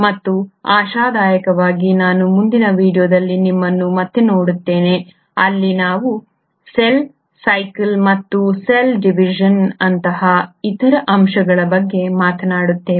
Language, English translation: Kannada, And hopefully I will see you again in the next video where we will talk about cell cycle, and other aspects of cell division